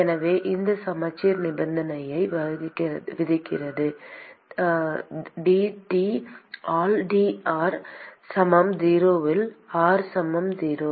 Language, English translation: Tamil, So, this symmetry imposes the condition that dT by dr equal to 0 at r equal to 0